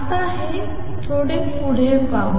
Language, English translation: Marathi, Let us now explore this a little further